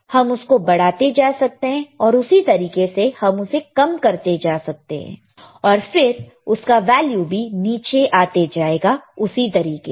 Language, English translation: Hindi, We can keep on increasing, you can keep on increasing, same way if I keep on decreasing, it will come down, it will come down, it will still come down, right same way